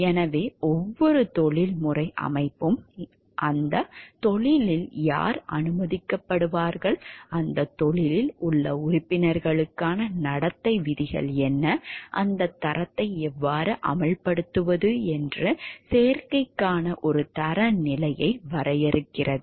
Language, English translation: Tamil, So, every professional body defines a standard for admission who will be admitted into that profession, what are the set rules of conduct for the members of that profession and, how to enforce that standards